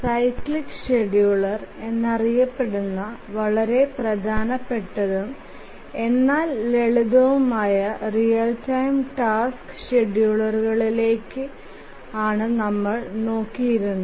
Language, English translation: Malayalam, So, so far we have been looking at the one of the very important but simple real time task scheduler known as the cyclic scheduler